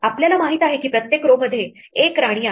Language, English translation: Marathi, We know that there is exactly one queen in each row